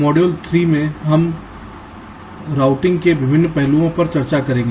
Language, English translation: Hindi, module three would discuss the various aspects of routing